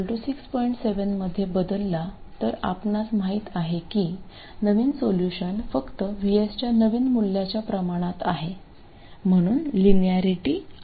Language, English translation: Marathi, 7 you know that the new solution is simply proportional to the new value of VS